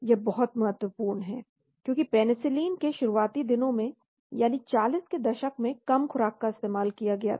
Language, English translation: Hindi, This is very, very important because early days of penicillin that is in 40s low dosage were used